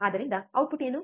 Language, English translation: Kannada, So, what is the output